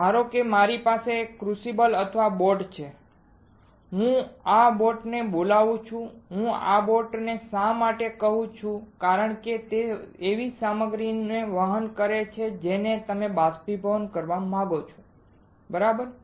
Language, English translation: Gujarati, So, suppose I have this crucible or boat right I call this boat why I call this boat because it carries the material that you want to evaporate right